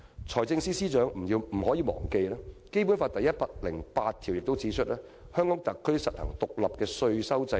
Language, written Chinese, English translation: Cantonese, 財政司司長不要忘記，《基本法》第一百零八條亦訂明："香港特別行政區實行獨立的稅收制度。, Lest the Financial Secretary should forget it has also been stipulated in Article 108 of the Basic Law that [t]he Hong Kong Special Administrative Region shall practise an independent taxation system